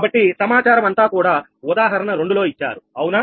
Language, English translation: Telugu, so all data in that example two are given right